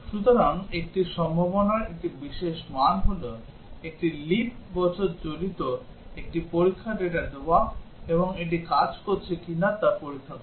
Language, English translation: Bengali, So, a possibility a special value is to give a test data which involves a leap year and check whether it is working